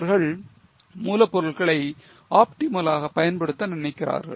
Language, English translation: Tamil, They want to optimally use the raw material